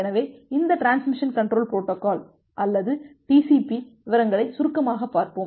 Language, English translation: Tamil, So, we will look in to the details of this Transmission Control Protocol or TCP in short